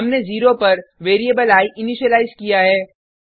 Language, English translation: Hindi, We have initialized the variable i to 0